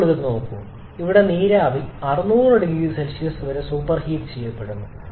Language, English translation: Malayalam, Now look at this here the steam is superheated to 600 degree Celsius rest remains same